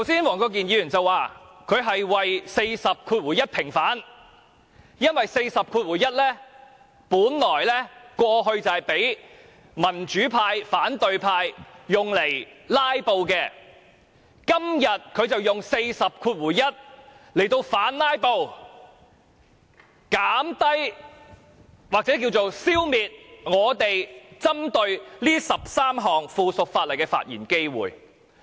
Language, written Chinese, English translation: Cantonese, 黃國健議員剛才說，他是為《議事規則》第401條平反，因為第401條過去本來是讓民主派及反對派用來"拉布"的，今天他便引用第401條來反"拉布"，減低或消滅我們針對這13項附屬法例的發言機會。, Just now Mr WONG Kwok - kin said that his purpose is for Rule 401 of the Rules of Procedure RoP to be vindicated . Because in the past RoP 401 has been used by the democratic camp and the opposition camp as a tool for filibustering but today RoP 401 is invoked by him to counter the filibuster to reduce or stifle our speaking opportunities on these 13 pieces of subsidiary legislation